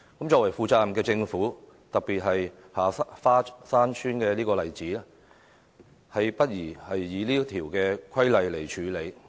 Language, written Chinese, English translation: Cantonese, 作為負責任的政府，實在不宜以這項規例處理如下花山村的個案。, Thus it is inappropriate for a responsible government to apply the said criteria especially in handling the case of Ha Fa Shan Village